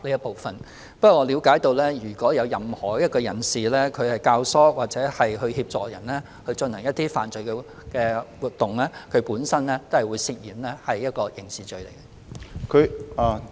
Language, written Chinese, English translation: Cantonese, 不過，據我了解，如有任何人教唆或協助他人進行犯罪活動，他本身亦會涉嫌觸犯刑事罪行。, However to my understanding any person who abets or aids the commission by another person of any offence shall also be guilty of a criminal offence